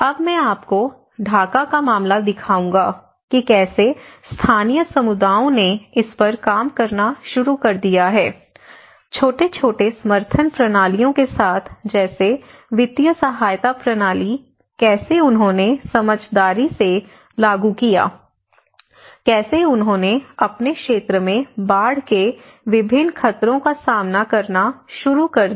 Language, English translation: Hindi, I will also show you now, how a case of Dhaka and how this has been; how local communities have also started working on you know, with small, small support systems like a financial support system, how they intelligently applied, how they started coping with different threats of the floods in their region